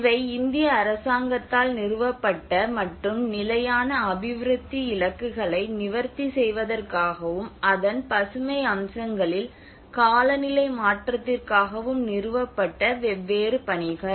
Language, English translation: Tamil, So these are different missions which were established by the Government of India and in order to address the sustainable development goals and as well as the climate change on the green aspects of it